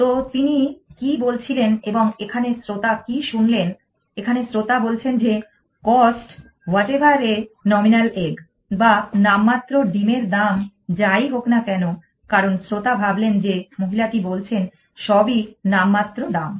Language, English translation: Bengali, So, what was she saying what did a here what did the listener here the listener said cost whatever a nominal eggs the listener thought that women is saying that everything is cause a nominal